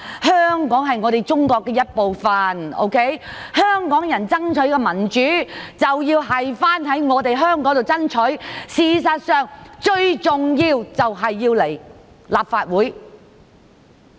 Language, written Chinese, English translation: Cantonese, 香港是中國的一部分，香港人爭取民主，便要在香港爭取，事實上，最重要是來立法會爭取。, Hong Kong is part of China . If Hong Kong people want to fight for democracy they should do so in Hong Kong . In fact it is most important that they fight for democracy in the Legislative Council